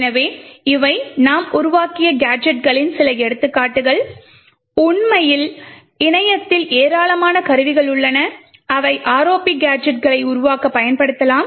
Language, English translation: Tamil, So, these were some of the examples of gadgets that we have created, in reality there are a lot of tools available on the internet which you could use to build ROP gadgets